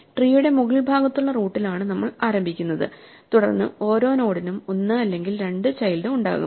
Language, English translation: Malayalam, We start at the root which is the top of the tree and then each node will have 1 or 2 children